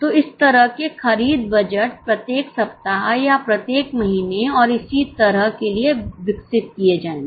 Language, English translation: Hindi, So, such types of purchase budgets will be developed for each week or for each month and so on